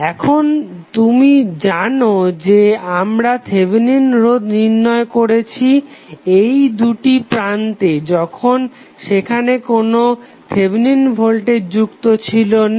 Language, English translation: Bengali, Now, you know that we have calculated the Thevenin resistance across these two terminals while there was no Thevenin voltage